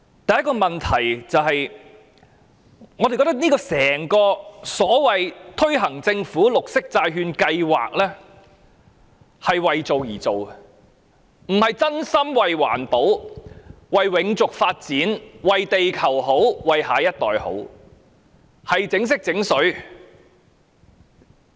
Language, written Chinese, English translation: Cantonese, 第一個問題是，我們認為整項所謂政府綠色債券計劃是為做而做的，而不是真心為環保、為永續發展、為地球好、為下一代好，只是"整色整水"。, The first problem is that we think the entire Government Green Bond Programme so to speak is carried out as a show rather than a wholehearted effort for environmental protection sustainable development the well - being of the planet and the interest of the next generation . It is merely window dressing